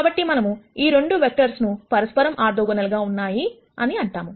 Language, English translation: Telugu, So, we say that these 2 vectors are orthogonal to each other